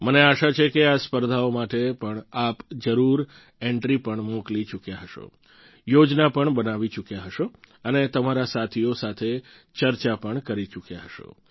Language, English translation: Gujarati, I hope that you certainly must have sent in your entries too for these competitions…you must have made plans as well…you must have discussed it among friends too